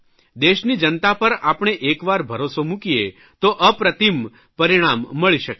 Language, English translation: Gujarati, Once we place faith and trust in the people of India, we can get incomparable results